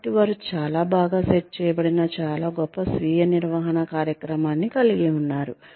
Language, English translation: Telugu, So, they have a very very, well set, well established, very rich, self management program